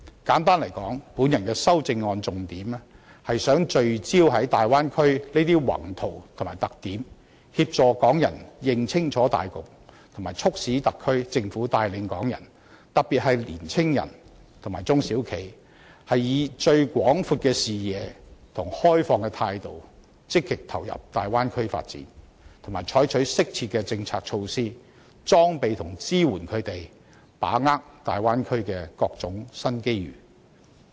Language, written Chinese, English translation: Cantonese, 簡單而言，我的修正案重點是希望聚焦於大灣區的宏圖及特點，協助港人認清大局，並促使特區政府帶領港人，特別是年青人和中小型企業，以最廣闊的視野和開放的態度，積極投入大灣區發展，以及採取適切的政策措施裝備和支援他們，使他們能把握大灣區的各種新機遇。, Simply put my amendment seeks mainly to focus on the development scale and characteristics of the Bay Area help members of the public get a clear picture of the overall situation and urge the SAR Government to lead Hong Kong people to actively participate in the development of the Bay Area with the broadest vision and an open attitude and take appropriate policy measures to prepare them and offer them support for seizing various new development opportunities brought about by the Bay Area